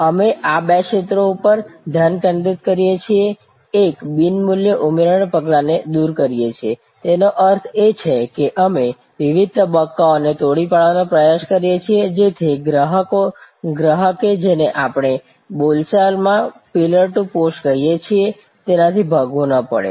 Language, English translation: Gujarati, We focus on these two areas, one is eliminating a non value adding steps; that means, we try to collapse different stages, so that the customer does not have to run from what we colloquially call pillar to post